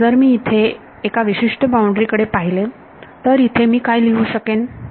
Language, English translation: Marathi, So, if I look at one particular boundary over here right